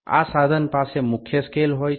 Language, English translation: Gujarati, This instrument is having main scale